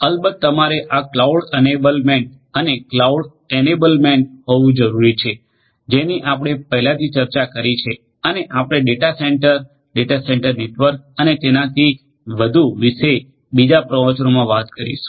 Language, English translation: Gujarati, Of course, you need to have this cloud enablement and cloud enablement is, what we have already discussed earlier and we have we are also going to talk about data centre data centre networks and so on in another lecture